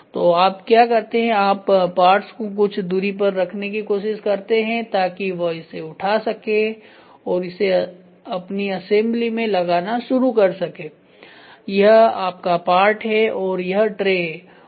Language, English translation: Hindi, So, what you do is you try to keep the parts in a distance such that he can go pick it up and start putting it in his assembly this is your part these are trace